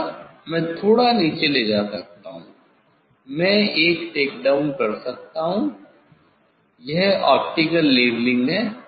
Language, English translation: Hindi, slightly I can take down slightly, I can a takedown this is the optical leveling